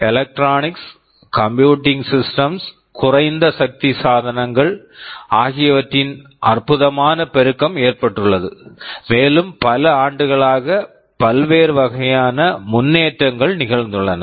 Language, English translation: Tamil, There has been a fantastic proliferation of electronics, computing systems, low power devices, and there are various kinds of advancements that have taken place over the years